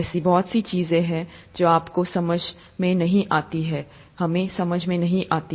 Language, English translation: Hindi, There’s so much of things that you don’t understand, we don’t understand